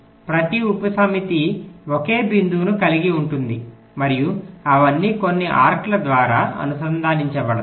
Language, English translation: Telugu, each subset will consist of a single point and they will be all connected by some arcs